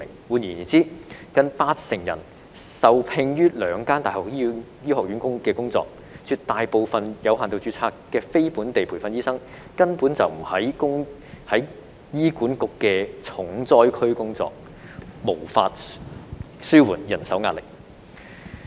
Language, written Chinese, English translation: Cantonese, 換言之，近八成人是受聘於兩間大學的醫學院，絕大部分有限度註冊的非本地培訓醫生根本不是在醫管局的重災區工作，無法紓緩人手壓力。, In other words nearly 80 % of them were employed by the Faculty of Medicine of the two universities . The vast majority of non - locally trained doctors under limited registration do not work in the most short - staffed HA . Hence the pressure on manpower cannot be relieved